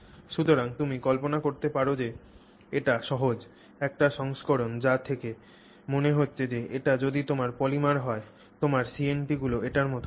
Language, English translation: Bengali, So, as you can imagine that would quite simply be a version that looks like that, if that is your polymer and your CNT should look like that